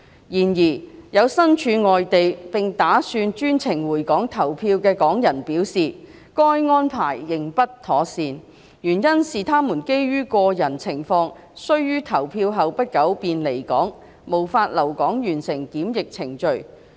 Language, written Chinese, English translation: Cantonese, 然而，有身處外地並打算專程回港投票的港人表示，該安排仍不妥善，原因是他們基於個人情況需於投票後不久便離港，無法留港完成檢疫程序。, However some Hong Kong people who are currently outside Hong Kong and intend to make a special trip to return to Hong Kong to cast their votes have indicated that the said arrangement is still unsound as they have to owing to personal circumstances leave Hong Kong shortly after casting their votes and will be unable to stay in Hong Kong to complete the quarantine procedure